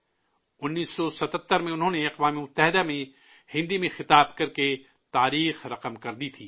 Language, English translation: Urdu, In 1977, he made history by addressing the United Nations in Hindi